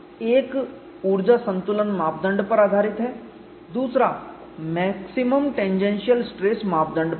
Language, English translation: Hindi, Then we looked at two theories; one is based on energy balance criterion, another is on maximum tangential stress criteria